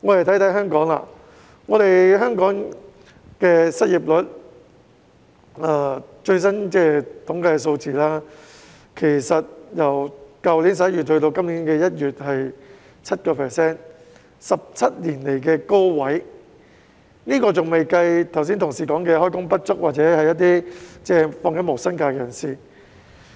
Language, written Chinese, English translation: Cantonese, 反觀香港，根據最新的統計數字，去年11月至今年1月的失業率是 7%， 是17年來的高位，但正如同事剛才提到，這仍未計算開工不足或正在放取無薪假的人。, In comparison according to the latest statistics the unemployment rate in Hong Kong from last November to this January was 7 % a record high in 17 years . As indicated by my colleagues just now however those who were underemployed or were taking unpaid leave had not been taken into account